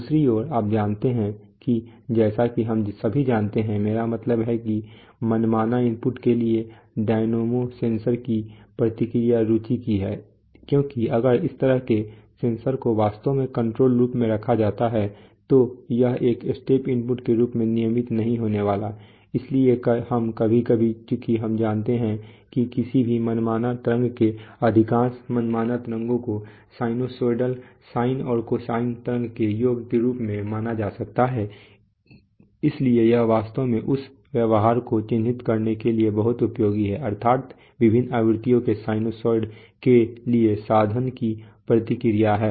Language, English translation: Hindi, On the other hand you know as we all know, I mean the response to a dynamic sensor to arbitrary input is of interest because if such a sensor is actually put in a control loop all kinds of it is not going to be regular as a step input, so we sometimes, since we know that any arbitrary waveform most arbitrary waveforms can be thought of as the sum of sinusoids, sine and cosine waves, so it is very useful to actually characterize the behavior that is the response of the instrument to a sinusoid of different frequencies